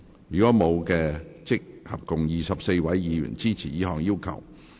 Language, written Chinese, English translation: Cantonese, 如果沒有，合共有24位議員支持這項要求。, If not we have 24 Members in total supporting this request